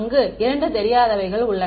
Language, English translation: Tamil, There are only two unknowns over there